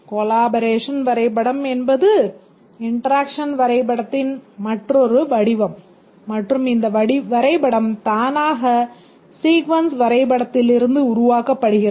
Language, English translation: Tamil, A collaboration diagram is another form of the interaction diagram and this diagram is automatically generated from the sequence diagram